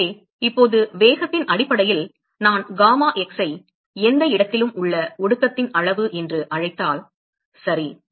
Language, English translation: Tamil, So, now, based on the velocity a supposing if I call gamma x as the amount of condensate at any location ok